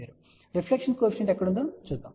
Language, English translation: Telugu, Now, let us see where is reflection coefficient